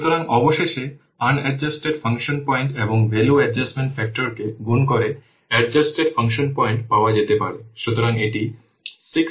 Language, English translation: Bengali, So, finally the adjusted function point can be obtained by multiplying the on adjusted function points and the value adjustment factor so this is giving to be 6 6